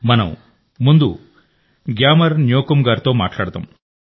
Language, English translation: Telugu, Let us first talk to GyamarNyokum